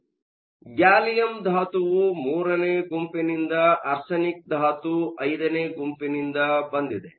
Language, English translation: Kannada, So, gallium is from group III, arsenic is from group V